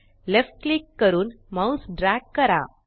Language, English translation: Marathi, Left click and drag your mouse